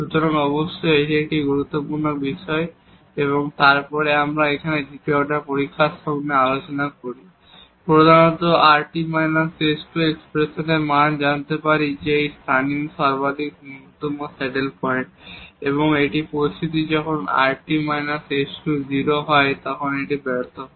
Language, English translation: Bengali, So, definitely this is a critical point and then we discuss with the help of the second order test here, mainly this rt minus s square the value of this expression we can find out whether it is a point of local maximum minimum saddle point and in this situation when rt minus s square is 0 this just fails